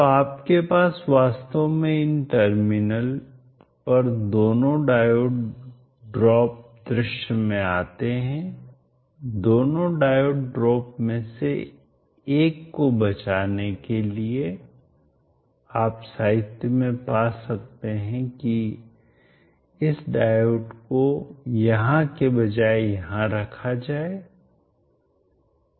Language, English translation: Hindi, So you actually will have both the diode drops coming into picture across the terminals, in order to say one of the diode drops you may find in literature this diode instead of being placed here will be placed here